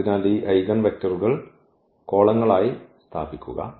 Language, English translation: Malayalam, So, placing these eigenvectors here as the columns